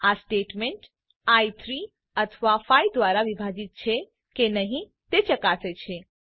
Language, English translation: Gujarati, This statement checks whether i is divisible by 3 or by 5